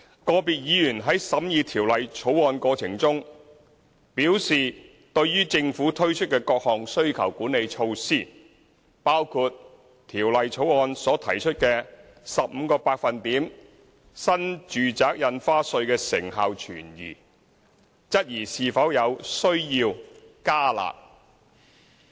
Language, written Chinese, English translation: Cantonese, 個別議員在審議《條例草案》過程中，表示對於政府推出的各項需求管理措施的成效存疑，包括《條例草案》所提出的 15% 新住宅印花稅，質疑是否有需要"加辣"。, In the process of scrutinizing the Bill some Members doubted the effectiveness of the various demand - side measures introduced by the Government including the New Residential Stamp Duty NRSD at the rate of 15 % and they questioned whether it was necessary to introduce the enhanced curb measures